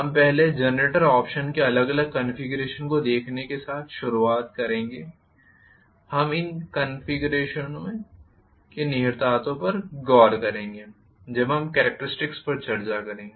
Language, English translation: Hindi, We will start off with first generator operation having seen the different configurations, we will look at the implications of these connections as and when we discuss the characteristics